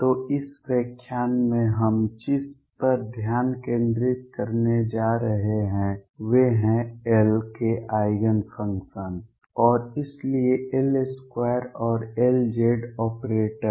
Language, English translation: Hindi, So, what we are going to focus on in this lecture are the Eigenfunctions of L and therefore, L square and L z operators